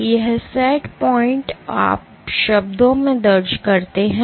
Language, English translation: Hindi, And this set point you enter in terms